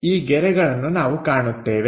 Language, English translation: Kannada, This line we will see